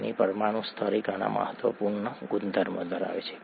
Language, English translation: Gujarati, Water, at a molecular level, has very many important properties